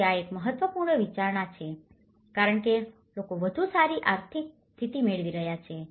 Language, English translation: Gujarati, So, this is one of the important considerations because and people are getting a better economic status